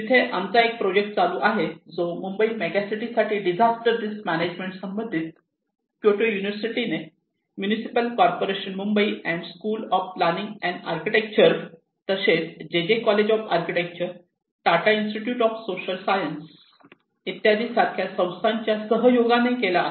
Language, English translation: Marathi, We had a project there, one integrated disaster risk management for megacity Mumbai by Kyoto University, along with in collaboration with the Municipal Corporation of here in Mumbai and school of planning and architecture and other many Institutes like JJ College of Architecture, Tata Institute of Social Science